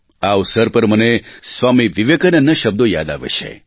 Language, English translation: Gujarati, On this occasion, I remember the words of Swami Vivekananda